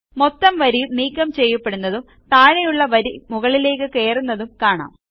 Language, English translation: Malayalam, You see that the entire row gets deleted and the row below it shifts up